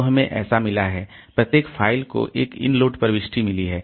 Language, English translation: Hindi, So, we have got so each file has got an an I node entry